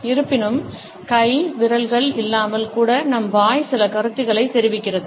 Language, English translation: Tamil, However, we would find that even without hands and fingers our mouth communicates certain ideas